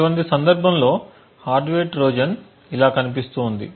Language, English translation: Telugu, The hardware Trojan in such a scenario would look something like this